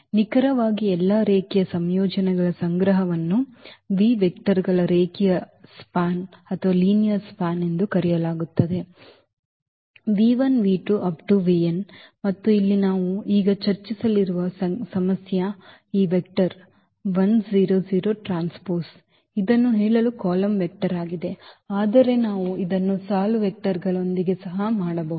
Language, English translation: Kannada, Exactly so, the collection of all linear combinations is called the linear span of v vectors v 1, v 2, v 3, v n and the problem here we will discuss now, is this vector 1, 0, 0 transpose just to tell that this is a column vector, but we can do also with the row vectors